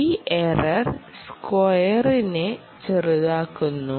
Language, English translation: Malayalam, that minimizes the square error